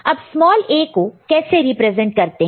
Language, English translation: Hindi, And how small a is represented